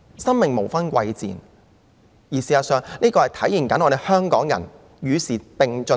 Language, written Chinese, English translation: Cantonese, 生命無分貴賤，事實上，這亦可體現香港人是與時並進的。, All lives are equal and in fact this will also show that Hong Kong people keep themselves abreast of the times